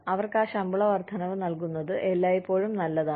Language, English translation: Malayalam, It is always nice to give them, those pay raises